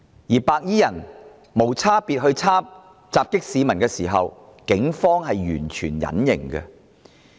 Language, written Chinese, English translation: Cantonese, 當白衣人無差別襲擊市民時，警方是完全隱形的。, Throughout this indiscriminate attack perpetrated by white - clad gangsters on civilians the Police remained completely invisible